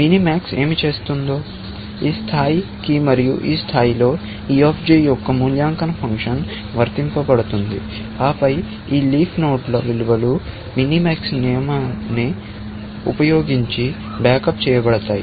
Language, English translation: Telugu, What minimax is doing is going down all the way, to this level and at this level, the evaluation function e of j is applied, and then, the values of these leaf nodes are backed up using the minimax rule